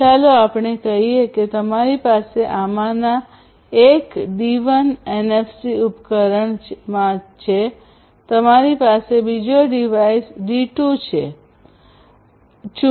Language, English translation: Gujarati, Let us say that you have in one of these devices D1 NFC device, you have another device D2